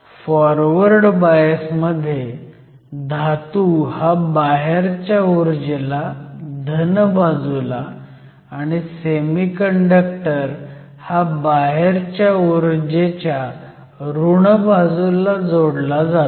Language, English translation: Marathi, So, In a forward bias, the metal is connected to the positive side and the semiconductor is connected to the negative side, of an external potential